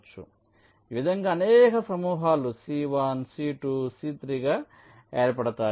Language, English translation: Telugu, so in this way, several clusters can be formed right: c one, c two, c, three